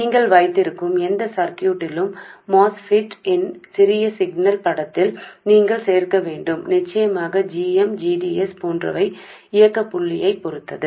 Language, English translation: Tamil, And that you have to include into the small signal picture of the MOSFET in any circuit that you have and of course like GM GDS also depends on the operating point